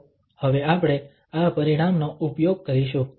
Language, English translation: Gujarati, So, we will use this result now